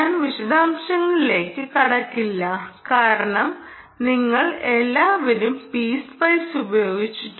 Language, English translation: Malayalam, i will not get into the detail because i am sure all of you would have used spice